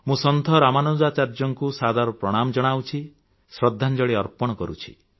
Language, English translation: Odia, I respectfully salute Saint Ramanujacharya and pay tributes to him